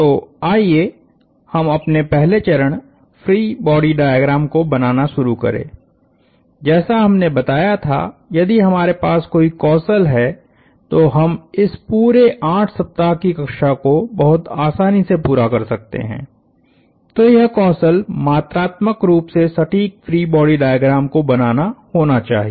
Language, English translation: Hindi, So, let us start drawing our first step is to draw free body diagrams like we said, if there is one skill we walk away from this entire 8 week class, it should be to draw quantitatively accurate free body diagrams